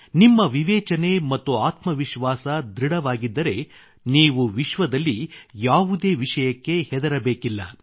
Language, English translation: Kannada, If your conscience and self confidence is unshakeable, you need not fear anything in the world